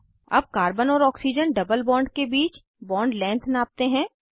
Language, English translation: Hindi, Lets measure the bond length between carbon and oxygen double bond